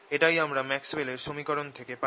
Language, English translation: Bengali, this is what we get from the maxwell's equations